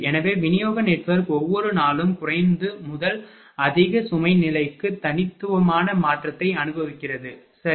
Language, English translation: Tamil, So, distribution network also experience distinct change from a low to high load level everyday, right